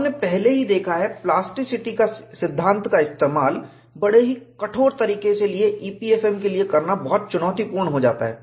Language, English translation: Hindi, We have already seen, utilizing plasticity theory in a rigorous manner for EPFM, is going to be very challenging